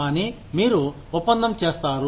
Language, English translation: Telugu, Either, you do the deal